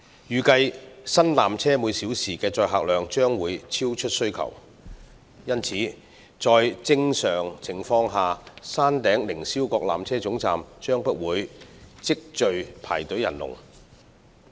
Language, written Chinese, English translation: Cantonese, 預計新纜車每小時的載客量將會超出需求，因此在正常情況下，山頂凌霄閣纜車總站將不會積聚排隊人龍。, It is expected that the new peak trams hourly capacity will exceed the demand and hence queues will not normally build up at the Upper Terminus